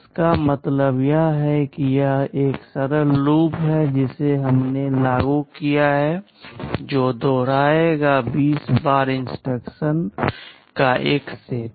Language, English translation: Hindi, This means this is a simple loop we have implemented that will be repeating a set of instructions 20 times